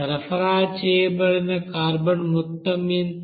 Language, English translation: Telugu, Then what will be the total carbon used